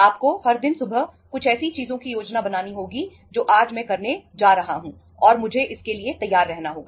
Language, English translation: Hindi, You have to plan uh every day in the morning certain things that today I am going to do this and I have to be ready for that